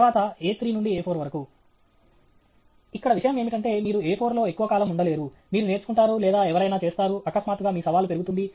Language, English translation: Telugu, Then A three to A four Here the funda is you cannot stay in A four for a long time; you will either learn or somebody will… suddenly your challenge will increase